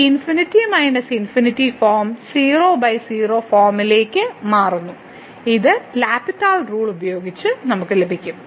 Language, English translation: Malayalam, So, this infinity minus infinity form changes to by form which using L’Hospital rule we can get the limit